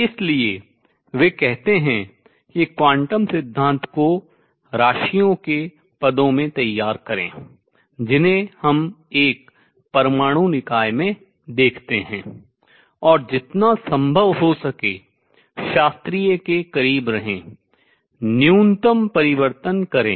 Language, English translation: Hindi, So, he says formulate quantum theory in terms of quantities that we observe in an atomic system, and remain as close to the classical as possible make minimum changes